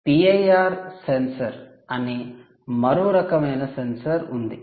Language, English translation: Telugu, there is another kind of sensor called the p i r sensor